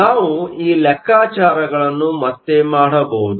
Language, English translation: Kannada, We can redo these calculations